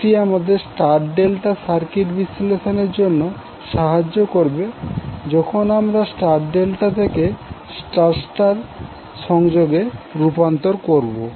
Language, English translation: Bengali, So this will help you to analyze the star delta circuit while you convert star delta into star star combination